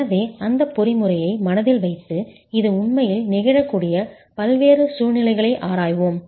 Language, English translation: Tamil, So let's keep that mechanism in mind and examine different situations under which this can actually happen